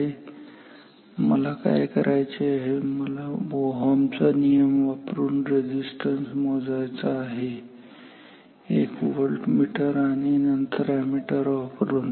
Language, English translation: Marathi, So, what I want I want to measure this resistance using Ohm’s law using a voltmeter and then ammeter